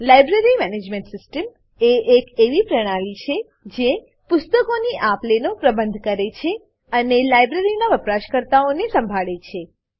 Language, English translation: Gujarati, A library management system is a system which manages the issuing and returning of books and manages the users of a library